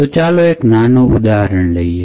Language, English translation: Gujarati, So, let us take a small example